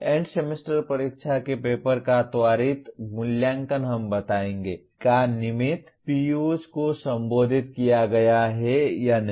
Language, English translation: Hindi, A quick evaluation of the End Semester Exam paper will tell us whether the designated POs are addressed or not